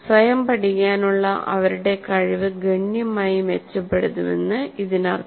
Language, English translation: Malayalam, That means their ability to learn by themselves will significantly improve